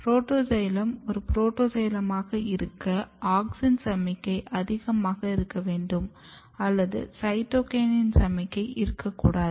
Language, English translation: Tamil, So, in protoxylem for protoxylem to be as a protoxylem, what has to happen there should be very high auxin signaling and no cytokinin signaling or very low cytokinin signaling